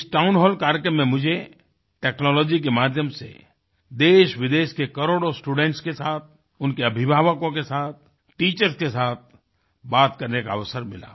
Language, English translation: Hindi, In this Town Hall programme, I had the opportunity to talk with crores of students from India and abroad, and also with their parents and teachers; a possibility through the aegis of technology